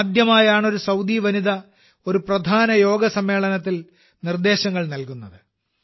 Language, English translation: Malayalam, This is the first time a Saudi woman has instructed a main yoga session